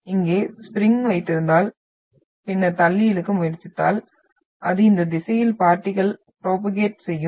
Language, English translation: Tamil, So if you hold the spring here and then try to push and pull so if you are having that it will travel the particle in this direction